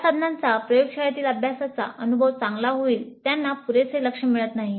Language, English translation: Marathi, So the tools which would make the laboratory learning experience better would not receive adequate attention